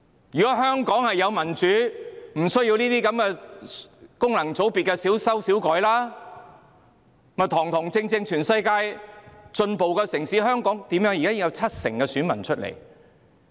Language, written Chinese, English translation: Cantonese, 如果香港有民主，便不需要對功能界別作小修小改，而是如同全世界進步的城市般堂堂正正地選舉。, Patch - up amendments to FCs are not necessary if there is democracy in Hong Kong . Instead open and aboveboard elections should be held just like in any other advanced cities in the world